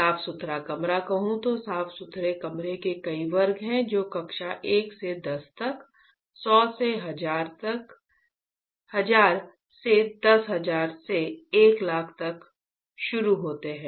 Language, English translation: Hindi, If I say clean room, then there are several classes of clean room right starting from class 1 to 10 to 100 to 1000 to 10,000 right to 100,000